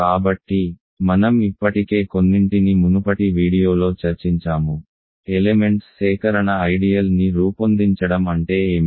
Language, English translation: Telugu, So, I have already discussed in some previous video, what it means for a collection of elements to generate an ideal